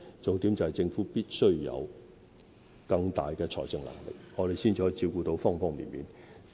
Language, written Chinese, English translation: Cantonese, 重點是政府必須有更大的財政能力，才可以照顧方方面面。, The salient point is the Government must have great financial capability in order to cater for various aspects